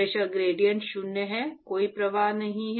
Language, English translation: Hindi, The pressure gradient is zero, there is no flow